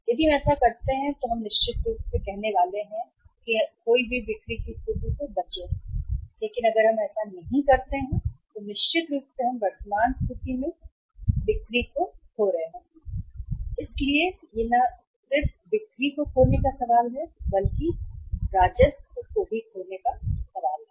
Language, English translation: Hindi, If we do that then certainly we are going to say say uh avoid the situation of the lost sales but if we do not do that then certainly we are at the current situation and we are losing sales so it is not only the question of losing sales but the question of losing revenue also